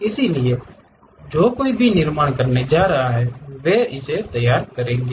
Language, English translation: Hindi, So, whoever so going to manufacture they will prepare that